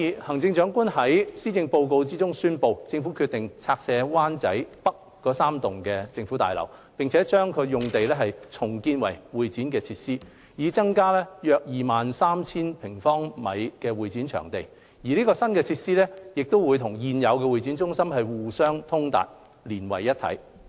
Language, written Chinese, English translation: Cantonese, 行政長官在施政報告中宣布，政府決定拆卸灣仔北3座政府大樓，把用地重建為會展設施，以增加約 23,000 平方米的會展場地。新設施會與現有會展中心互相通達，連為一體。, The Chief Executive announced in the Policy Address that the Government has decided to demolish the three government buildings in Wan Chai North and redevelop the site into CE facilities to increase CE space by about 23 000 sq m The new facilities will be connected to and integrated with the existing HKCEC